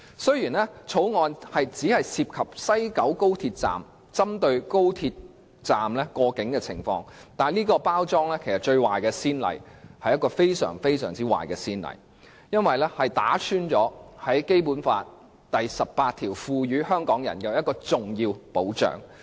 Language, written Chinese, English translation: Cantonese, 雖然《條例草案》只針對高鐵西九龍站內的過境情況，但這種包裝方式卻造成一個極壞的先例，破壞了《基本法》第十八條為香港人提供的重要保障。, Although the Bill only deals with the clearance matters at the West Kowloon Station of XRL the way it is packaged has set a very bad precedent and undermined the important protection that Article 18 of the Basic Law provides to Hong Kong people